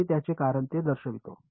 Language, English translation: Marathi, I will show you what their